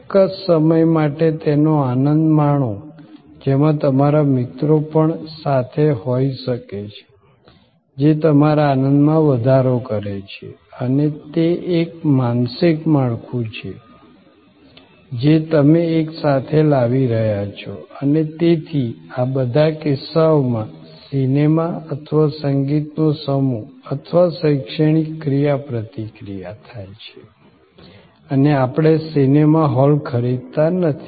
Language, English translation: Gujarati, For a certain time, enjoying it and you are bringing also may be your friends, which enhances your enjoyment, maybe certain mental framework that you are bringing together and therefore, the movie or a music consort or an educational interaction in all these cases therefore, you are not looking for buying the movie hall